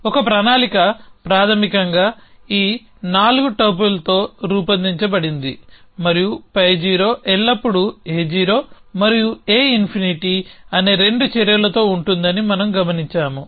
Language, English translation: Telugu, So, a plan is basically made of this 4 topple and we have observed that pi 0 is always with a 2 actions A 0 and A infinity